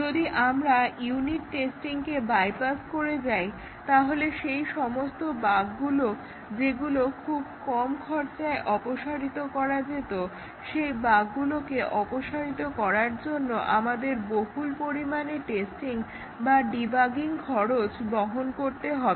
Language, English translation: Bengali, If we had bypassed unit testing, then those bugs which could have been eliminated very cheaply, we would incur tremendous testing cost, debugging cost for eliminating those bugs